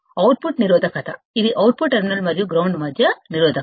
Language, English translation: Telugu, Output resistance, is the resistance between the output terminal and ground